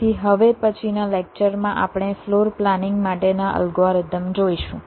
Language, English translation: Gujarati, so now, next lecture, we shall be looking at the algorithms for floor planning